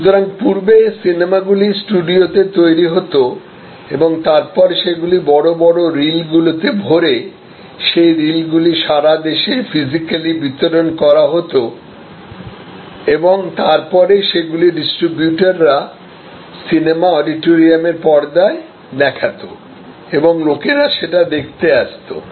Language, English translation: Bengali, So, the movie service which earlier movies were created in studios and then they were in big reels and those reels got distributed all over the country physically and then they were used by the distributors, projected on a screen, people came to the movie auditorium and experienced